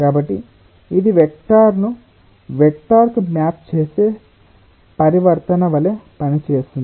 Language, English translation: Telugu, so this is acting like a transformation which maps a vector on to a vector